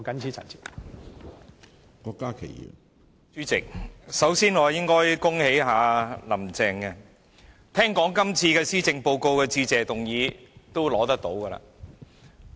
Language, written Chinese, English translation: Cantonese, 主席，我首先應該恭喜"林鄭"，因為聽說這份施政報告的致謝議案將會獲得通過。, President first of all I should congratulate Carrie LAM because rumour has it that the Motion of Thanks in respect of this Policy Address will be passed